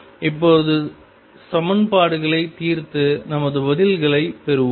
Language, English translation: Tamil, Now, let us solve the equations and get our answers